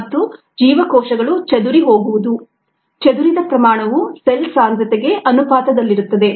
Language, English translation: Kannada, the light that is been scattered is proportional to the concentration of cells